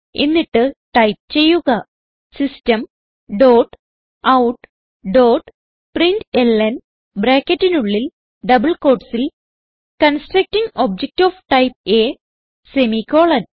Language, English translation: Malayalam, Then type System dot out dot println within brackets and double quotes Constructing object of type A semicolon